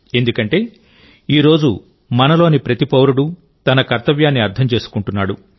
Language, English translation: Telugu, This is because, today every citizen of ours is realising one's duties